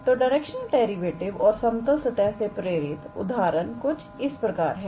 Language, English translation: Hindi, So, the examples motivated from directional derivative and examples motivated from level surfaces